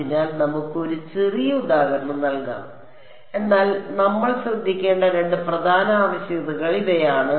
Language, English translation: Malayalam, So, let us just a small example, but these are the two main requirements we have to keep in mind